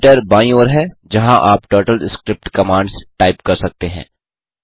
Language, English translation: Hindi, Editor is on the left, where you can type the TurtleScript commands